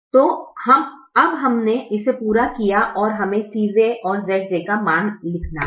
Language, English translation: Hindi, so we have now completed this and we have to write the c j minus z j values